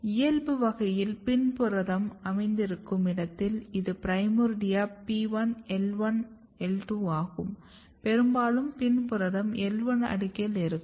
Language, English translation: Tamil, If you look here PIN protein localization in the wild type this is primordia P1, I1, I2, if you look the PIN protein; PIN protein is mostly localize to the L1 layer